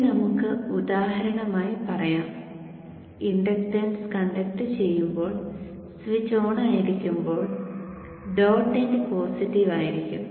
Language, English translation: Malayalam, Now let us say for example when the inductance is conducting when the switch is on the dot end is positive